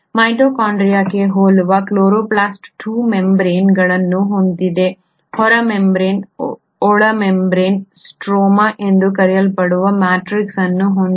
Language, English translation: Kannada, Chloroplast similar to mitochondria has 2 membranes, an outer membrane, an inner membrane, a matrix which is called as the stroma